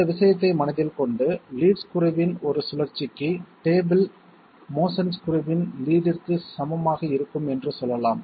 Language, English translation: Tamil, With this thing in mind, we can say for one rotation of the lead screw okay for one rotation of the lead screw, the table motion will be equal to the lead of the screw equal to say L